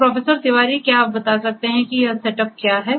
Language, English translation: Hindi, So, Professor Tiwari, could you explain like what is this setup all about